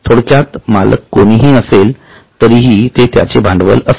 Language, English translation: Marathi, So, overall, whoever are the owners, it is their capital